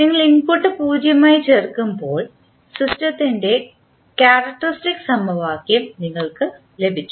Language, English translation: Malayalam, When you put the input as 0, so you got the the characteristic equation of the system